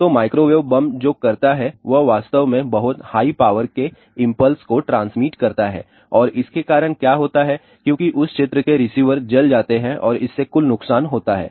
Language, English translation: Hindi, So, microwave bomb what is does it actually transmits the very high power impulse and what happens because of that the receivers in that particular area get burnt and that is causes a total damage